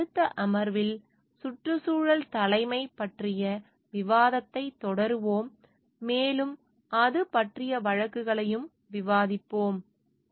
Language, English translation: Tamil, In our next session, we will continue with the discussion of environmental leadership and we will discuss cases about it also